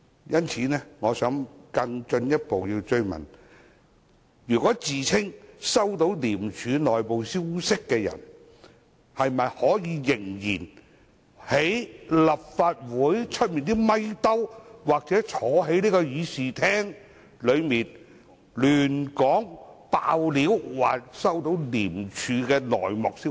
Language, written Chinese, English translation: Cantonese, 因此，我想更進一步追問，自稱收到廉署內部消息的人可否仍然在立法會外的"咪兜"或坐在這議事廳內胡說、"爆料"，說收到廉署的內幕消息？, Furthermore may I ask whether people who claim to have received ICACs internal information should still be allowed to disclose nonsense to say that they have received certain inside information of ICAC either before the microphones outside or right here in this Chamber?